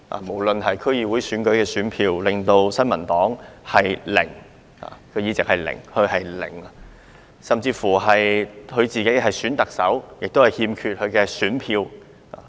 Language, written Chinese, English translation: Cantonese, 無論是區議會選舉——新民黨取得零個議席——還是她曾參與的特首選舉，她亦缺乏選票。, Whether it was the District Council Election in which the New Peoples Party did not win a single seat or the Chief Executive Election she participated in she lacked votes